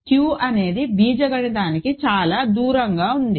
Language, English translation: Telugu, So, Q is very far from being algebraically closed